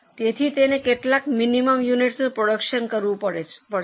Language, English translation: Gujarati, So, it has to produce certain minimum units